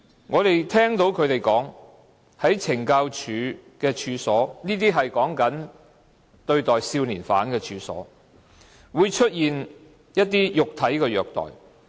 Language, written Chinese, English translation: Cantonese, 我們聽到他們說，在懲教所——說的是對待少年犯的處所——會出現一些肉體的虐待。, We have heard from them that in these correctional institutions for young offenders they were subject to physical abuses